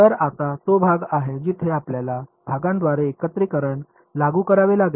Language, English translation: Marathi, So, now is the part where we will have to apply integration by parts